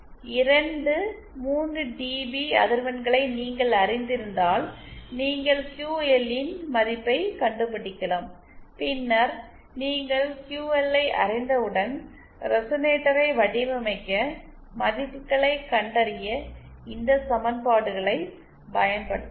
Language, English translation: Tamil, If you know the two 3dB dB frequencies, you can find out the value of QL and then once you know QL, you can use these equations that we just derived to find the values of the to design the resonator